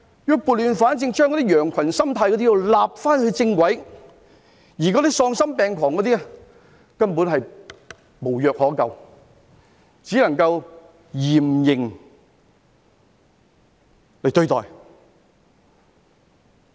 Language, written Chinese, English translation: Cantonese, 要撥亂反正，將那些羊群心態的人納入正軌，而那些喪心病狂的人根本無藥可救，只能夠嚴刑對待。, We need to restore order from chaos and put those who just follow the herd back on the right track . And those heartless and deranged people are incurable and can only be treated with severe punishment . Secretary I have high hopes on you